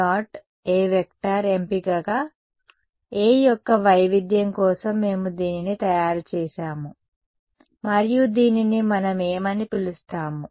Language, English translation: Telugu, This was a choice which we had made for the divergence of A and what it we call this